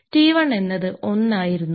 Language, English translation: Malayalam, So, this T is equal to 1 second